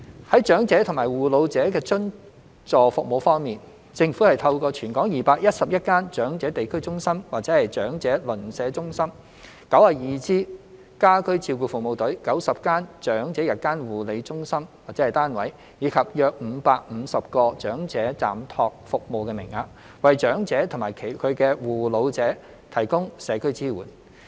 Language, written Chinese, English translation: Cantonese, 在長者及護老者的津助服務方面，政府透過全港211間長者地區中心/長者鄰舍中心、92支家居照顧服務隊、90間長者日間護理中心/單位，以及約550個長者暫託服務名額，為長者及其護老者提供社區支援。, Subvented support services for elderly persons and their carers are provided by the Government through 211 District Elderly Community CentresNeighbourhood Elderly Centres 92 home care service teams 90 Day Care CentresUnits for the Elderly; and around 550 respite places are available for elderly persons to provide community support for the elderly and their carers